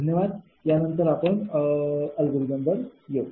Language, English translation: Marathi, next, ah, after this, we will come to the algorithm